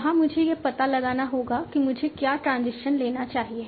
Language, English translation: Hindi, There I have to find out what is the transition I should take